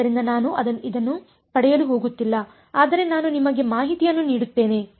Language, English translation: Kannada, So, I am not going to derive this, but I will just give you information